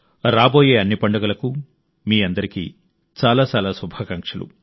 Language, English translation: Telugu, Heartiest greetings to all of you on the occasion of the festivals